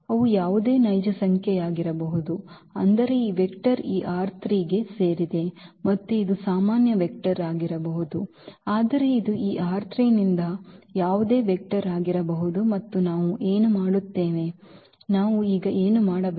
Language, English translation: Kannada, They can be any real number meaning that this vector belongs to this R 3 and it’s a general vector yet can it can be any vector from this R 3 and what we will, what we are supposed to do now